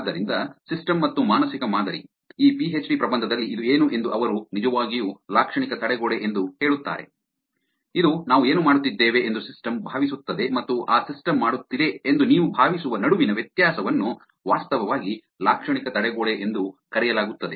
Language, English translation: Kannada, So, system and mental model, what this is in this PhD thesis they actually nicely put it that semantic barrier, which is the difference between what system thinks we are doing and what you think that system is doing will actually be called semantic barrier in the larger the barrier is it is because actually difficult to not fall for such types of products